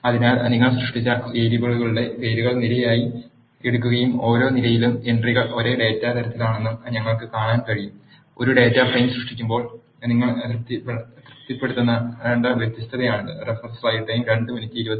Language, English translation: Malayalam, So, we can see that the names of the variables you have created are taken as columns and the entries in the each column are of the same data type; this is the condition which you need to be satisfying while creating a data frame